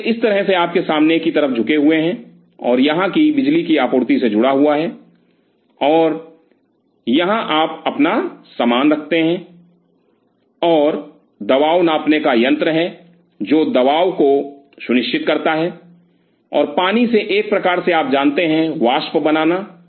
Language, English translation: Hindi, So, they are bolted on to your fore side like this, and here connected to the power supply and here you keep your stuff and there is pressure gauge, which ensure the pressure and from the other water kind of you know create the vapor